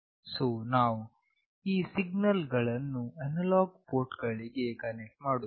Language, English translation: Kannada, So, we will connect we will be connecting these signals to analog ports